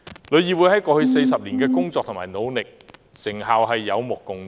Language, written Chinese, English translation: Cantonese, 旅議會在過去40年的工作和努力，成效有目共賭。, The results of the work done and the efforts made by TIC over the past 40 years are there for all to see